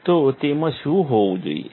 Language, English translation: Gujarati, So, what should it have